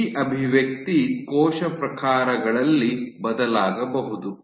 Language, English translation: Kannada, So, this expression can vary across cell types